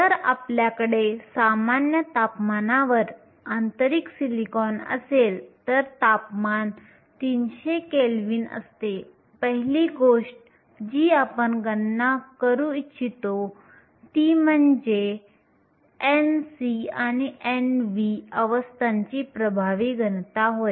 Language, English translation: Marathi, If we have intrinsic silicon at room temperature, temperature is 300 kelvin, the first thing we want to calculate is the effective density of states n c and n v